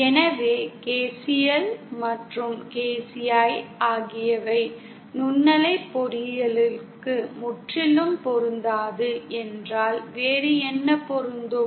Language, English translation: Tamil, So then, if KCL and KVL are not totally applicable for microwave engineering then what is applicable